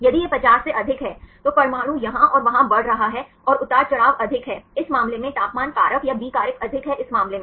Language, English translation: Hindi, If it is more than 50, then the atom is moving here and there and the fluctuations are more, in this case the temperature factor or B factor is high in this case